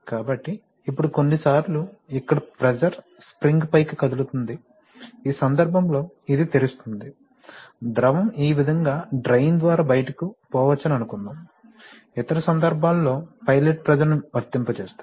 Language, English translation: Telugu, So, now if sometimes it may happen that the pressure here may move the spring up, in which case this will be, this will open this will, suppose the fluid may pass out from in this way through the drain, in other cases now suppose you apply a, suppose we apply a pilot pressure